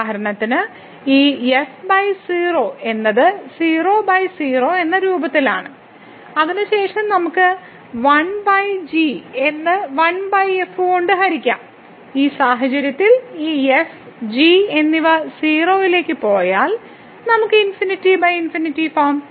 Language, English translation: Malayalam, So, for example, this over 0 is of the form 0 by 0 then we can rewrite it as over divided by 1 over and in this case if this and both goes to 0 here we have the infinity by infinity form